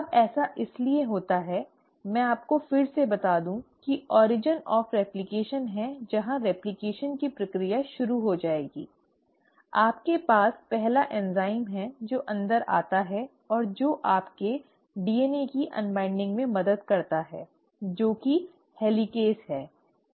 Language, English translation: Hindi, Now that happens because, so let me before I get there let me again tell you the there is origin of replication that the process of replication will start; you have the first enzyme which comes in and which helps you in unwinding the DNA which is the helicase